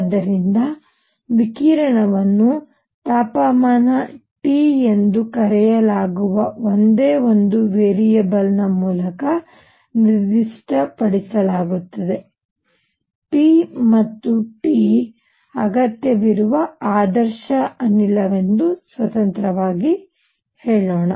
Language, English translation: Kannada, So, radiation is specified by only one variable called the temperature T, unlike; let say an ideal gas that requires p and T, independently